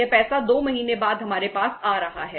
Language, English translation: Hindi, This money is coming to us after 2 months